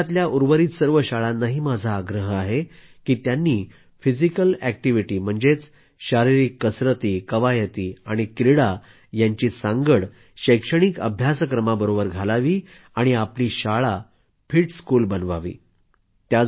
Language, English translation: Marathi, I urge the rest of the schools in the country to integrate physical activity and sports with education and ensure that they become a 'fit school'